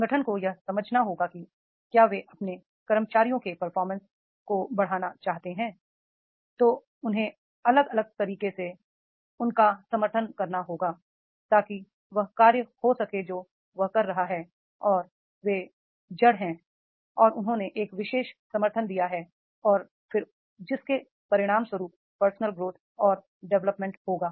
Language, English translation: Hindi, Organization has to understand that is if they want to enhance the performance of their employees, then they have to support them with the in a different ways so that there can be the task which is performing and that they are rooted and then they have given a particular support and then as a result of which the personal growth and development will be there